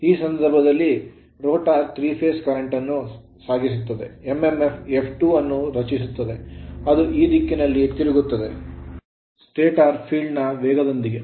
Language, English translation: Kannada, In this case the rotor now carries three phase currents creating the mmf F2 rotating in the same direction and with the same speed as the stator field